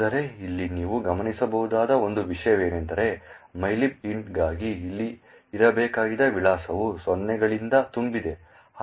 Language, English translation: Kannada, But, one thing you will notice over here is that the address for mylib int which was supposed to be over here is filled with zeros